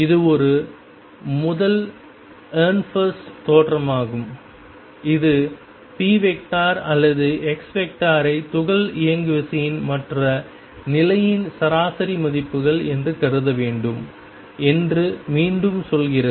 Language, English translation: Tamil, This is a first Ehrenfest theorem that again tells us that the expectation value of p or expectation value of x can be thought of as the average values of the momentum and position of the particle